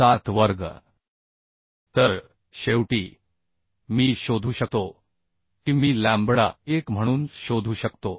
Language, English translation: Marathi, 1407 square So finally I can found I can find lambda e as 1